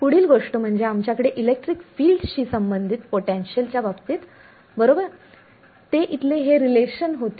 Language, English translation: Marathi, The next thing we had was a relation for the electric field in terms of the potential right that was this relation over here